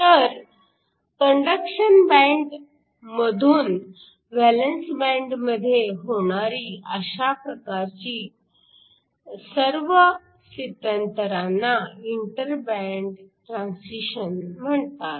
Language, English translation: Marathi, So, all of these where the transition occurs from the conduction band to the valence band is called your inter band transitions